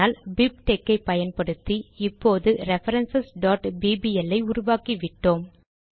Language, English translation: Tamil, But using BibTeX we have now created the file references.bbl